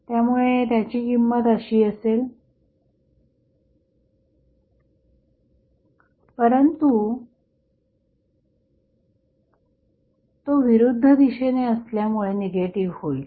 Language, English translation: Marathi, So, here the magnitude would be like this, but, since it is in the opposite direction it will become negative